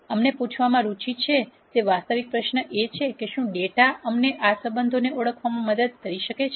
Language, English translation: Gujarati, The real question that we are interested in asking is if the data itself can help us identify these relationships